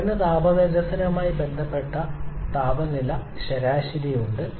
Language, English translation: Malayalam, We have the average temperature corresponding to heat rejection that is decreasing